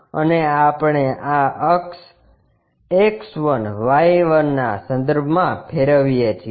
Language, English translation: Gujarati, And, we rotate that about this axis X1Y1